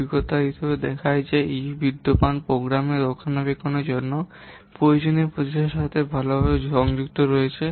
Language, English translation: Bengali, The experience show that E is well correlated to the effort which is needed for maintenance of an existing program